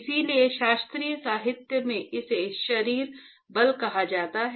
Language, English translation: Hindi, So, in classical literature it is called body forces